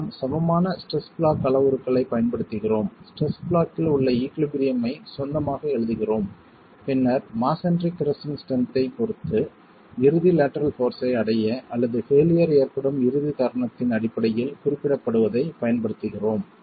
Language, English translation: Tamil, We use equivalent stress block parameters, write down the equilibrium in the stress block and then use that with respect to the crushing strength of masonry to be able to arrive at the ultimate lateral force or represent in terms of the ultimate moment at which failure is occurring